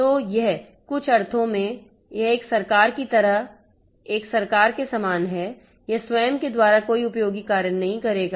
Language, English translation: Hindi, So, it in some sense, it is similar to a government, it is similar to a government like a government it performs no useful function by itself